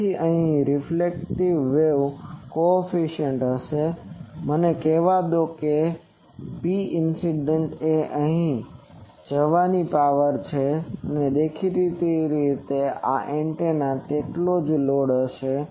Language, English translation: Gujarati, So, here there will be a reflection coefficient and let me say that P incident is the power going here and obviously this antenna is as will be load